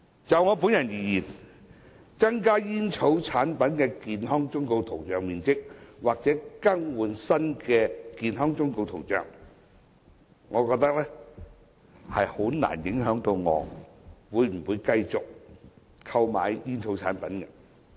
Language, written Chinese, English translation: Cantonese, 就我本人而言，增加煙草產品的健康忠告圖像面積，或者更換新的健康忠告圖像，難以影響我會否繼續購買煙草產品的決定。, Personally increasing the coverage of health warnings on tobacco packets or replacing graphic health warnings with new ones will hardly influence my decision on purchasing tobacco products